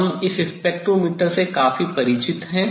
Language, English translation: Hindi, we are quite familiar with this spectrometer